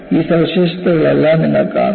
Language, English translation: Malayalam, You would see all these features